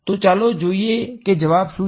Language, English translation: Gujarati, So, let see what the answer is